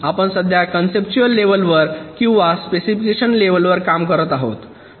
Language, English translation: Marathi, we are still looking at the conceptual level or at the specification level